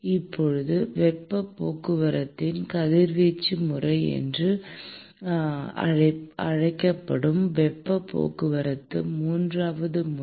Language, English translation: Tamil, Now, the third mode of heat transport which is called the radiation mode of heat transport